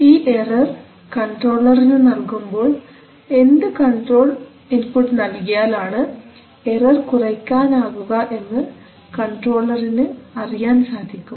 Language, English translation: Malayalam, So you give the error to the controller then the controller node knows that what control input to give such that the error is minimized